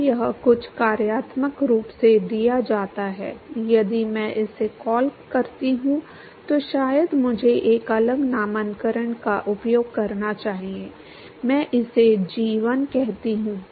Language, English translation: Hindi, So, that is given by some functional form if I call this as maybe I should use a different nomenclature, I call it g1